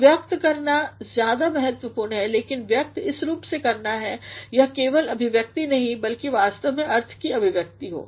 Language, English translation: Hindi, So, an expression is more important but the expression in such a manner that it is not the only expression, but it is actually the expression of meaning